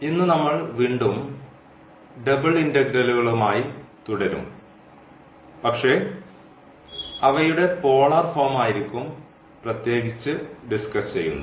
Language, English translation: Malayalam, And today we will again continue with this double integrals, but in particular this polar form